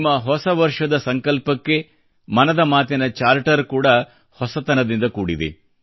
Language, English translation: Kannada, The Mann Ki Baat Charter in connection with your New Year resolution is very innovative